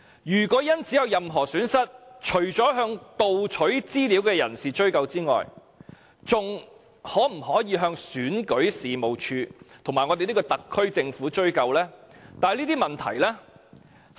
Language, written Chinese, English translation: Cantonese, 如果有人因此而有任何損失，除了向盜取資料的人追究外，還可否向選舉事務處及我們這個特區政府追究呢？, If someone suffers any loss due to the incident apart from seeking responsibilities from the one who stole the information can he also seek responsibilities from REO and the SAR Government?